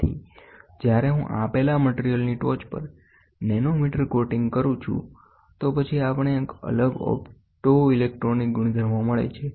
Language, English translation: Gujarati, So, when I do a nanometer coating on top of a of a existing material, then we see a different optoelectronic properties